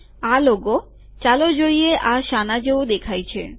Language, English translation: Gujarati, This logo, lets see what this looks like